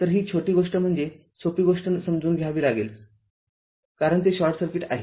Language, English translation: Marathi, So, this is ah this little bit thing we have to understand simple thing, but as it is short circuit